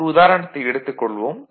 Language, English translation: Tamil, So, take one example